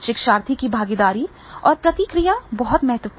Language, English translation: Hindi, Learners participation and feedback that becomes very, very important